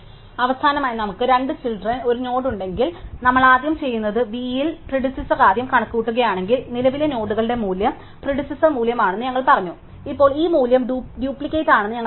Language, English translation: Malayalam, And finally, if we have a node with two children, what we do is if we first compute the predecessor at v and then we set the current nodes value to be the predecessor value and now we know that this value is duplicate